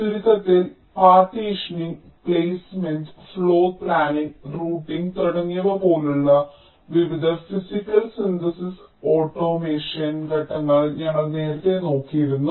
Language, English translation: Malayalam, we have earlier looked at the various physical design automations steps like partitioning, placement, floorplanning, routing and so on